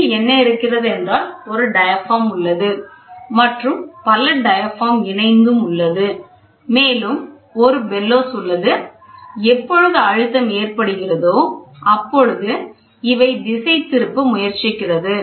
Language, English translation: Tamil, So, what happens is, you have one diaphragm or you have multiple diaphragms or you have a bellows so when the pressure is applied it tries to deflect